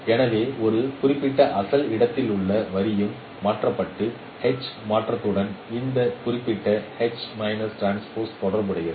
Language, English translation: Tamil, So the line in a particular original space that is also transformed and with the transformation H it is related with this particular property